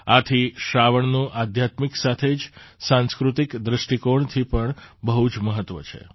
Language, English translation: Gujarati, That's why, 'Sawan' has been very important from the spiritual as well as cultural point of view